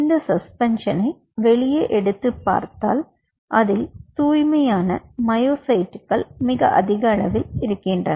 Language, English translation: Tamil, ok, and you take out the suspension so you have the more or less the pure myocytes sitting out there